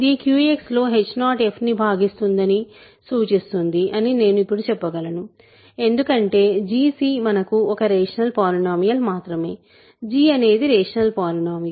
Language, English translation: Telugu, This implies h 0 divides f in Q X only I can say for now because g c is only a rational polynomial for us; g is the rational polynomial